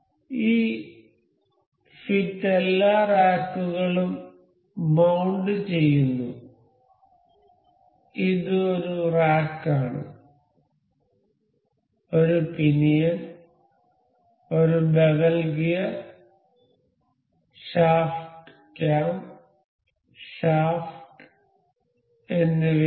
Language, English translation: Malayalam, So, that fit mount all the racks this is rack a pinion a bevel gear shaft cam and shaft